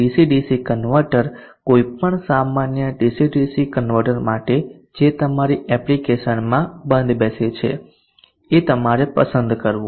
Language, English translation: Gujarati, The DC DC converter for any general DC DC converter that fits your application which you would have pre chosen